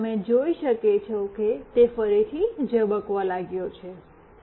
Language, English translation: Gujarati, And you can see that it has started to blink again,